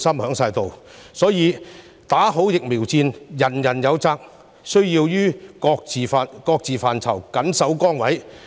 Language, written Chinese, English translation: Cantonese, 因此，"打好疫苗戰"，人人有責，大家都需要於各自範疇緊守崗位。, Therefore everyone has the responsibility to fight the good fight in the vaccine war and needs to remain steadfast in their duties in their respective fields